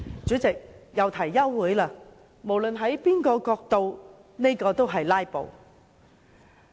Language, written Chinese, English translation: Cantonese, 他們又提休會待續，無論從甚麼角度看，這都屬於"拉布"。, They move adjournment motions again . From whatever perspective this is filibustering